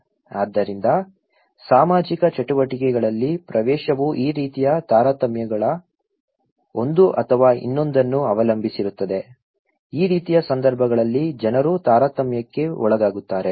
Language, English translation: Kannada, So, access to social activities depends on one or another of these kinds of discriminations, people are discriminated in this kind of situations okay